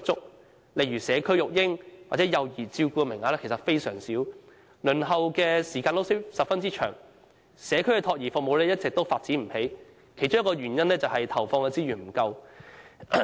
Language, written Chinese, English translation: Cantonese, 舉例來說，社區育嬰或幼兒照顧的名額非常少，輪候時間十分長，而社區託兒服務一直也發展不理想，其中一個原因是投放資源不足。, For instance places for community baby or child care services are extremely limited and the waiting time is very long . As for community child care services the development has all along been undesirable and one of the reasons is shortage of resources